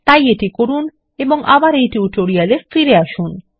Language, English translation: Bengali, Please do so and return back to this tutorial